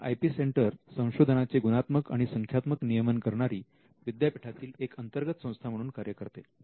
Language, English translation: Marathi, Now, the IP centre will be a centre that can look into the quality and the quantity of research